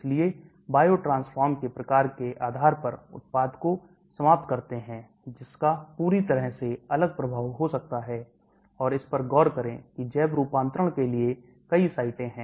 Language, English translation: Hindi, So depending upon the type of biotransformation, you end up with the product which can have a totally different effect, and look at this there are many sites for biotransformation